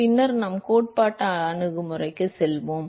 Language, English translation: Tamil, And then we will move to the theoretical approach later